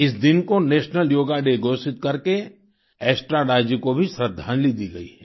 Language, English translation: Hindi, By proclaiming this day as National Yoga Day, a tribute has been paid to Estrada ji